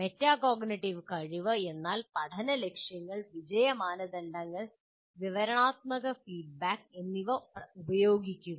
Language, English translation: Malayalam, Metacognitive ability means using learning goals, success criteria, and descriptive feedback